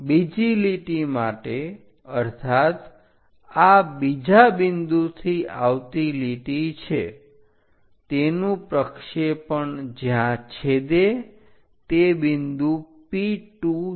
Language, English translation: Gujarati, For the second line; that means, this is the line from second point project it all the way up intersection point P 2